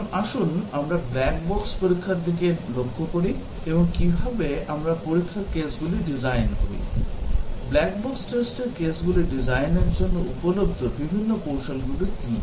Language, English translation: Bengali, Now, let us look at the black box testing and how do we design test cases; what are the different strategies available for designing the black box test cases